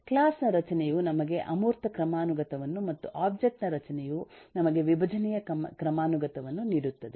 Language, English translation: Kannada, the class structure gives us the abstraction hierarchy and the object structure gives us the decomposition hierarchy